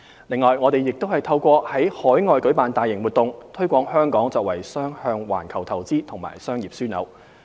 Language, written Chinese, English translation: Cantonese, 另外，我們亦透過在海外舉辦大型活動，推廣香港作為雙向環球投資及商業樞紐。, Furthermore we are actively promoting Hong Kong as a two - way global investment and business hub by organizing various large - scale events overseas